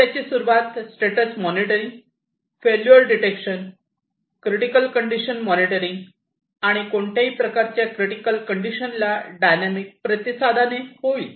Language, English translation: Marathi, So, it will start with the monitoring status monitoring, failure detection, control critical condition monitoring, and the dynamic response to critical conditions